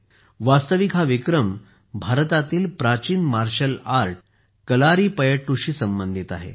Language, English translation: Marathi, Actually, this record is related to Kalaripayattu, the ancient martial art of India